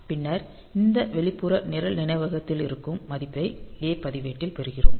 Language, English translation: Tamil, And then so there from this external program memory; so, we are getting the value into the a register